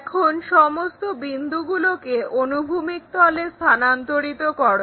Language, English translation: Bengali, Now, transfer all these points on the horizontal plane